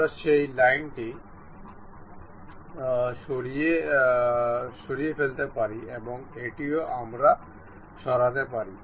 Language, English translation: Bengali, We can remove that line and also this one also we can remove